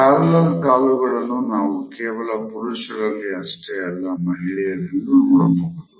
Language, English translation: Kannada, Parallel legs is something which is normally seen in women, but it is also same in men also